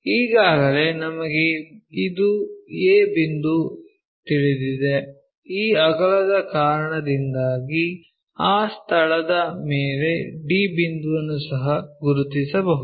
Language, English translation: Kannada, Already we know this a point, already we know a point, so the on that locus because of this breadth we can locate d point also